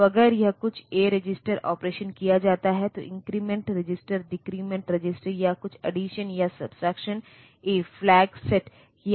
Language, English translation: Hindi, So, if it is some a register operation is done increment register decrement register or some addition and subtraction A 0 flag may be set